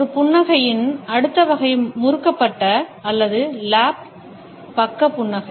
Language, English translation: Tamil, The next type of a smile is the twisted or the lop sided smile